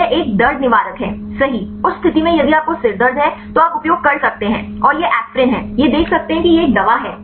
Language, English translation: Hindi, It is a pain killer right, in that case if you have a headache, then you can use and have this aspirin right this can see it is a drug